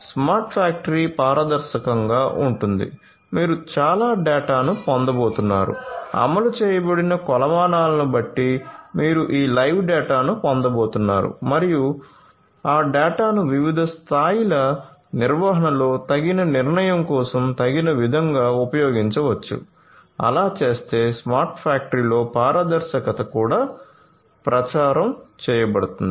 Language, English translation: Telugu, Smart factory is transparent in the sense that you are going to get lot of data, live data you know depending on the metrics that are implemented you are going to get all this live data and those data can be used suitably at different levels of management for quicker decision making so, transparency is also promoted in a smart factory